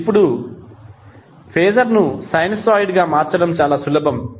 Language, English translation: Telugu, Now it is very easier to transfer the phaser into a sinusoid